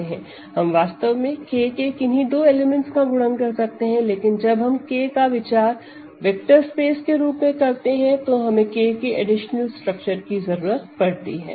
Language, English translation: Hindi, Forget about multiplying an element of K with an element of F we can actually multiply any two elements of K, but when we think of K as a vector space we do not need that additional structure of K